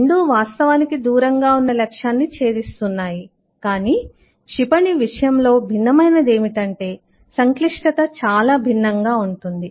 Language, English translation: Telugu, both are actually hitting a target over a distance, but what is different in case of missile is the complexity is very different